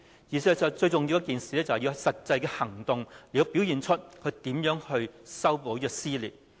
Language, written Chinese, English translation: Cantonese, 事實上，最重要的是要有實際行動來顯示她有心修補撕裂。, In fact the most important thing is to put words into deeds to show that she is sincere enough to mend the cleavage